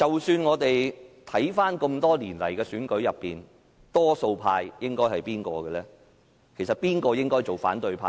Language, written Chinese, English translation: Cantonese, 看回這麼多年來的選舉，誰應該是多數派，誰應該當反對派呢？, Looking back at the elections over the years who should be the majority and who should be the opposition?